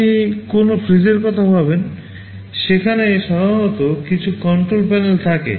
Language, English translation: Bengali, You think of a refrigerator there normally there are some control panels